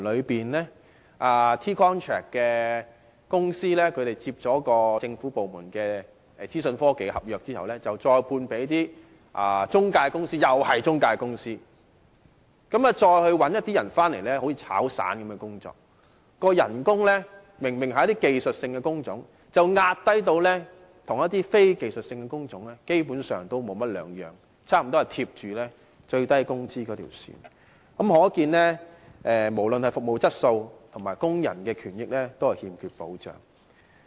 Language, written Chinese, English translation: Cantonese, 這些提供 T-contract 的公司承接了政府部門的資訊科技合約後，再外判給一些中介公司——又是中介公司——再聘用一些人，工作形式像"炒散"般，明明是技術性工種，工資卻被壓低至與非技術性工種無異，差不多貼近最低工資，可見不論是服務質素或工人權益，均欠缺保障。, After the companies providing T - contracts took up the IT contracts from the government departments they subcontracted the work to some intermediaries―intermediaries again―which then hired some people to work like casual workers . They were obviously skilled workers but their wages were suppressed to such a level which was no different from that of non - skilled workers and was close to the minimum wage thus showing a lack of assurance for both the quality of service and the rights and interests of workers